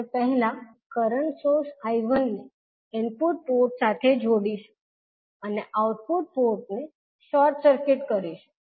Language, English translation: Gujarati, We will first connect the current source I1 to the input port and short circuit the output port